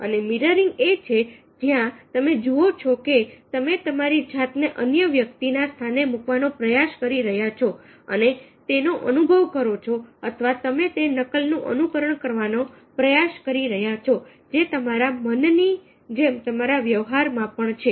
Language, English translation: Gujarati, and mirroring is where you see that you are trying to put yourself in the other person's place and experience that, or you are trying to emulate that, copy that even in your behaviour as in your mind